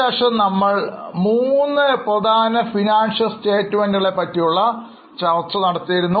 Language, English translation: Malayalam, Then we went on to discuss three important financial statements